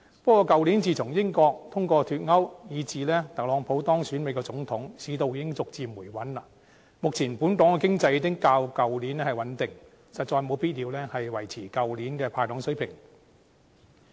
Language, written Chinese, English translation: Cantonese, 不過，去年自從英國通過脫歐，以至特朗普當選美國總統，市道已經逐漸回穩，目前本港經濟已經較去年穩定，實在無必要維持去年的"派糖"水平。, However since Brexit was carried in the United Kingdom and Donald TRUMP was elected the President of the United States last year the economy has gradually become stabilized . At present the economy of Hong Kong is more stable than last year and it is actually unnecessary to maintain last years level of sweeteners being doled out